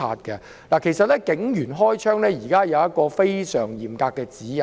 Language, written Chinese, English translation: Cantonese, 其實，現時警員開槍須遵從非常嚴格的指引。, Actually police officers have to comply with very stringent guidelines in shooting